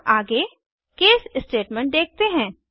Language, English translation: Hindi, Let us look at the case statement next